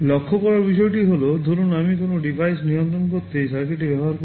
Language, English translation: Bengali, The point to note is that, suppose I use this circuit to control some device